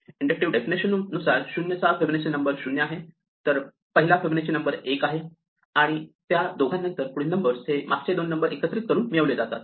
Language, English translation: Marathi, The inductive definition says that 0th Fibonacci number is 0; the first Fibonacci number is 1; and after that for two onwards, the nth Fibonacci number is obtained by sub adding the previous two